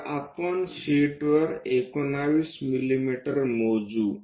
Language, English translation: Marathi, So, let us measure 19 mm on the sheet